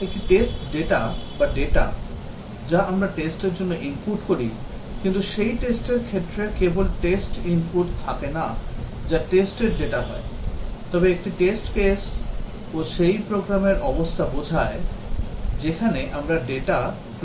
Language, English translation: Bengali, A test data or the data which we input for testing, but that test case not only have test input that is test data, but also a test case denotes the program state at which we apply the data